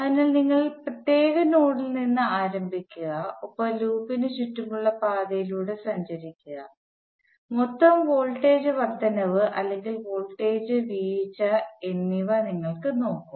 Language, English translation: Malayalam, So you start from particular node and trace your way around the loop and you look at the total voltage rise or voltage fall